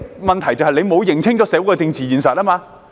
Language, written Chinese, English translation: Cantonese, 問題是政府沒有認清社會的政治現實。, The problem is that the Government has failed to grasp the political reality of our society